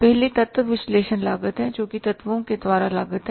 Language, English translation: Hindi, First one is the element or analysis cost cost by elements